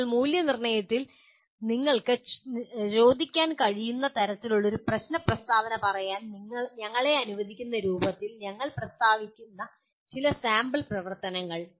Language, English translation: Malayalam, Now some sample activities which we will state in the form of let us say a kind of a problem statement what you can ask in assessment